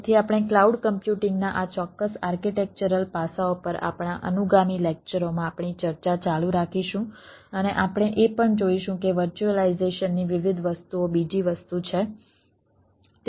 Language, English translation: Gujarati, we will carry on our discussion in our ah subsequent ah lectures on this ah particular architectural aspects of a cloud computing and will also see that different things of virtualization, another thing